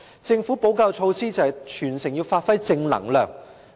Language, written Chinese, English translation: Cantonese, 政府的補救措施就是提出全城要發揮正能量。, The Governments remedial measure was the proposal to channel positive energy throughout the entire community